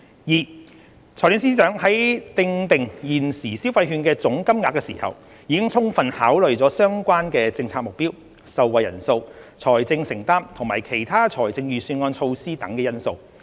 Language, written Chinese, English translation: Cantonese, 二財政司司長在訂定現時消費券的總金額時，已充分考慮相關政策目標、受惠人數、財政承擔及其他財政預算案措施等因素。, 2 The Financial Secretary has taken into consideration relevant factors including the objectives of the Scheme the number of beneficiaries financial commitments and other Budget measures when deciding on the current value of the consumption voucher